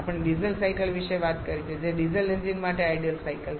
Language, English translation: Gujarati, We have talked about the diesel cycle which is ideal cycle for diesel engines